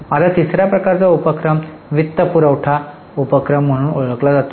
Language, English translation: Marathi, Now the third type of activity is known as financing activity